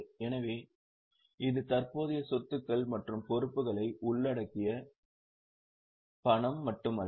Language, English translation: Tamil, So, it is not just cash, it includes the current assets and liabilities